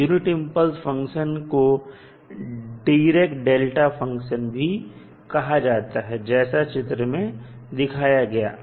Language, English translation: Hindi, So, generally the unit impulse function we also call as direct delta function and is shown in the figure